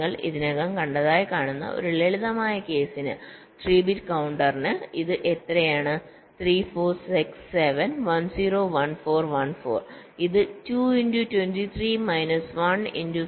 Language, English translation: Malayalam, so for a simple case, you see, see already you have seen for three bit counter it is how much three, four, six, seven, ten, fourteen, fourteen